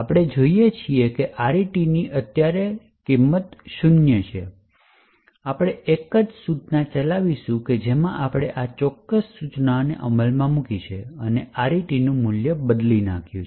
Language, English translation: Gujarati, So, we see that RET has a value of zero right now we will execute a single instruction in which case we have actually executed this particular instruction and changed the value of RET